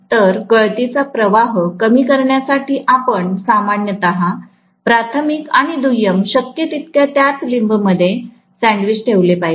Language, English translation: Marathi, So, to reduce the leakage flux, what we are going to do normally is to put the primary and secondary as much as possible sandwiched in the same limb